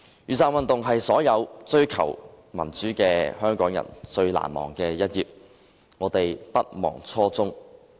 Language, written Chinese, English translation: Cantonese, 雨傘運動是所有追求民主的香港人最難忘的一頁，我們不忘初衷。, This is the Umbrella Movement . The Umbrella Movement must be the most indelible memory of all those Hong Kong people who aspire to democracy . We will not forget our faith